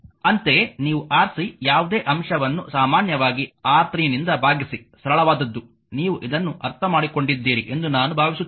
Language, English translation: Kannada, Similarly, for your what you call Rc, Rc whatever numerator is common divided by R 3 just simplest one; I hope you have understood this right